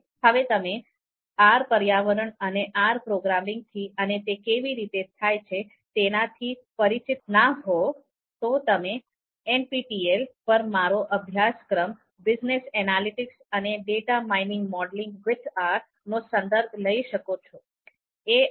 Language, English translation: Gujarati, Now if you are not familiar with the R environment and R programming and how it is done, so you can refer my previous course on NPTEL it is called Business Analytics and Data Mining Modeling using R, so this particular course you can refer